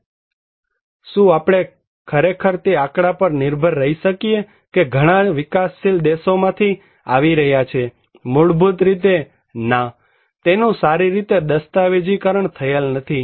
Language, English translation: Gujarati, No, can we really depend on the statistics that we are coming from many developing countries; basically, no, it is not well documented